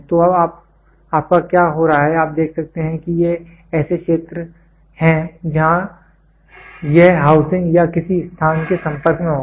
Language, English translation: Hindi, So, now, what is happening your; you can see these are the areas where it will be in contact with the housing or some place